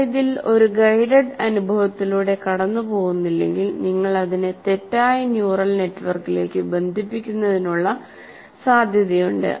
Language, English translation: Malayalam, But if you do not go through a guided experience in this, there is a possibility that you connect it to the wrong network, let's say, neural network